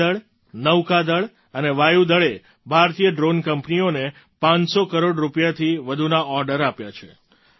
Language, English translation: Gujarati, The Army, Navy and Air Force have also placed orders worth more than Rs 500 crores with the Indian drone companies